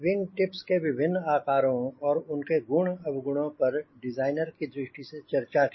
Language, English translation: Hindi, we have also talked about typical shapes of wing tips and what are their merits and demerits from designers point of view